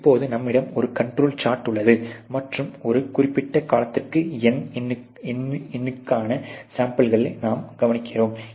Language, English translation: Tamil, So obviously, now you have a control chart in place and you are observing the samples for n number for a certain period of time